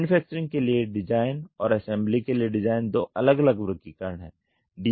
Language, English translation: Hindi, The design for manufacturing and design for assembly techniques are two different classification